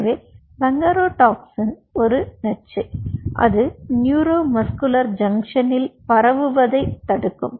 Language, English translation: Tamil, so bungarotoxin is a toxin which will block the transmission in the neuromuscular junction